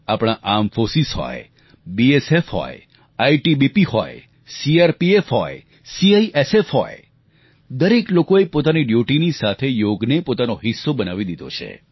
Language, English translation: Gujarati, Whether it is our armed forces, or the BSF, ITBP, CRPF and CISF, each one of them, apart from their duties has made Yoga a part of their lives